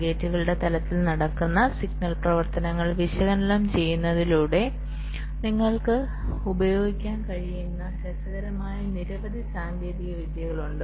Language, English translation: Malayalam, ok, there are many interesting techniques which you can use by analyzing the signal activities that take place at the level of gates